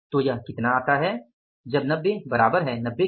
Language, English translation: Hindi, So, how much it comes up as 90 is equal to 90